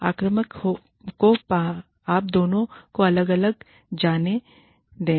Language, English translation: Hindi, Let the aggressor, you know, separate the two